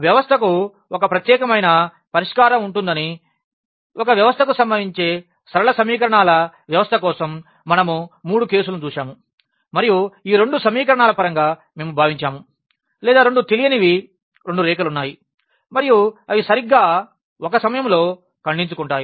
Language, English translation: Telugu, We have seen the 3 cases for the system of linear equations that can happen to a system that the system will have a unique solution and that was the case in terms of the these two equations which we have consider or with two unknowns that there are 2 lines and they intersect exactly at one point